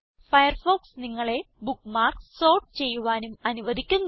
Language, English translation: Malayalam, Firefox also allows you to sort bookmarks